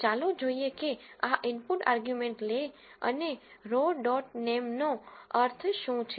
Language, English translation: Gujarati, Let us look at what this input arguments le and row dot names means